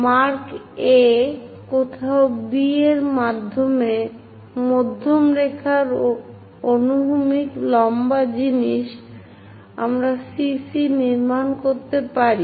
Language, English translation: Bengali, Mark A, somewhere B and in middle line horizontal perpendicular thing, we can construct CC prime